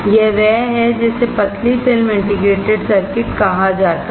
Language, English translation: Hindi, This is what is called thin film integrated circuit